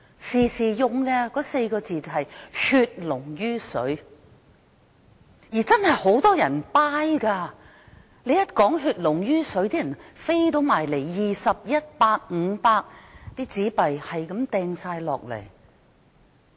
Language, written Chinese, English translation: Cantonese, 當時不斷提到的4個字是"血濃於水"，而很多人真的認同這說法，將20元、100元、500元的紙幣投入捐款箱。, The words frequently said in those days were blood is thicker than water . Many members of the public did endorse this remark and they put 20 100 and 500 into donation boxes